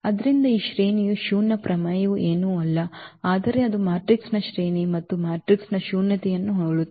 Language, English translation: Kannada, So, this rank nullity theorem is nothing but it says that the rank of a matrix plus nullity of the matrix